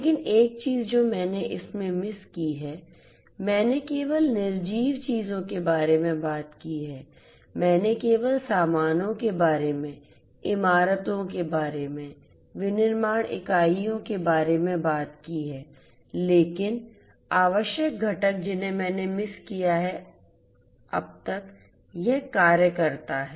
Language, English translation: Hindi, But one thing I have missed in this I have talked about only nonliving things, I have talked about only the goods, about the buildings, about the manufacturing units, those are the ones I have talked about, but the essential component that I have missed out so far is this worker